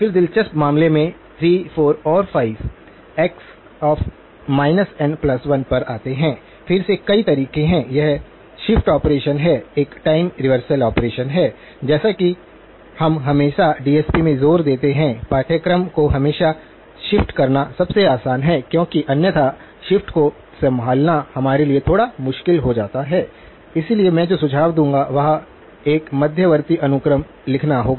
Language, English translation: Hindi, Then the interesting cases come at 3, 4 and 5 x of minus n plus 1, again there are several ways to did, this is the shift operation, there is a time reversal operation as we have as you always emphasize in the DSP course always easier to do the shift first because otherwise the shift becomes a little bit tricky for us to handle, so the steps that I would suggest is write an intermediate sequence y3 dash of n which is x of n plus 1, so you have taken care of the shift